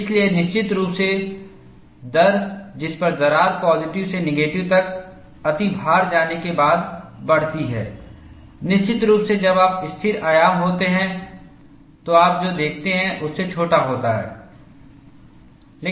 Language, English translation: Hindi, So, definitely the rate at which crack grows after an overload, going from positive to negative, is definitely smaller than what you see, when you have constant amplitude